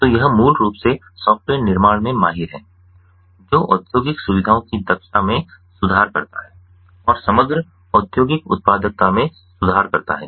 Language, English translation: Hindi, so this basically particularizes in software which improves the industrial facilities efficiency and improves the overall industrial productivity